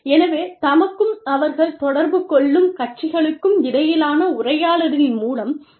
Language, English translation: Tamil, So, through a dialogue between themselves, and the parties with whom, they interact